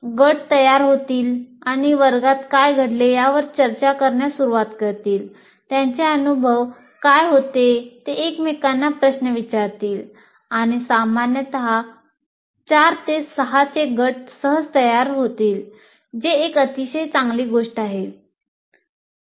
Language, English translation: Marathi, Groups will form and start discussing what has happened in the class, what was their experiences, they will ask each other questions and generally groups of four, five, six seem to be readily forming in that, which is a very healthy thing